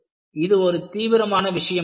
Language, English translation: Tamil, It is a very serious matter